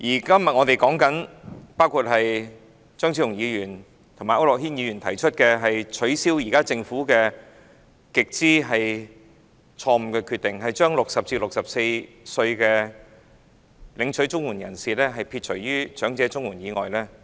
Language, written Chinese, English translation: Cantonese, 今天，張超雄議員和區諾軒議員提出擱置政府極之錯誤的決定，即是把60至64歲領取綜援人士剔出長者綜援之外。, Today Dr Fernando CHEUNG and Mr AU Nok - hin have proposed that the Government should shelve its extremely erroneous decision of excluding CSSA recipients aged between 60 and 64 years from receiving elderly CSSA